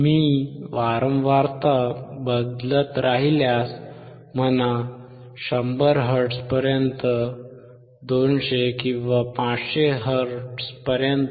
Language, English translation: Marathi, If I keep on changing the frequency, you see keep on 100 hertz; 200 or 500 hertz